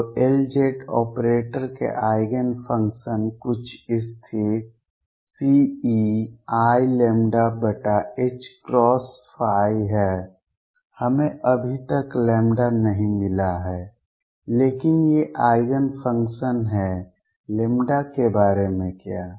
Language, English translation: Hindi, So, Eigenfunctions of L z operator are some constant C e raise to i lambda over h cross phi we are yet to find lambda, but these are the Eigen functions what about lambda